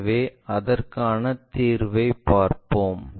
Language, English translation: Tamil, So, let us look at the solution